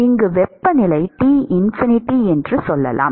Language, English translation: Tamil, And the temperature here is T1